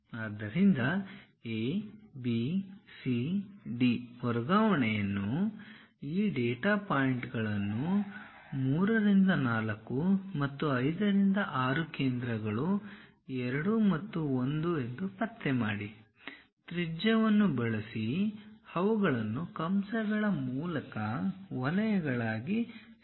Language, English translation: Kannada, So, construct AB CD transfer these data points 3 4 and 5 6 locate centers 2 and 1, use radius, join them as circles through arcs